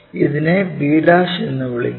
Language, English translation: Malayalam, Let us call that is b'